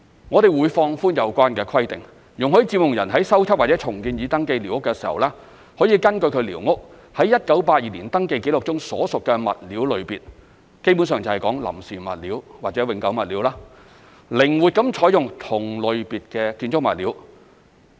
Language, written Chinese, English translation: Cantonese, 我們會放寬有關的規定，容許佔用人在修葺或重建已登記寮屋時，可根據其寮屋於1982年登記紀錄中所屬的物料類別，基本上就是"臨時物料"或"永久物料"，靈活地採用同類別的建築物料。, We are going to relax the relevant requirements by allowing occupants to use building materials under the same category flexibly based on the material category shown on the 1982 Survey when they repair or rebuild their squatters